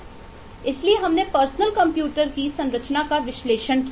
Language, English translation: Hindi, so we did eh analyze the structure of a personal computer